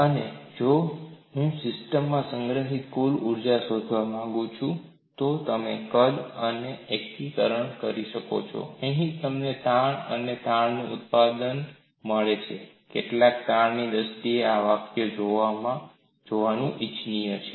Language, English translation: Gujarati, And If I want to find out the total energy stored in the system, you do the integration over the volume, here you find product of stress and strain, it is also desirable to look at these expressions in terms of stresses alone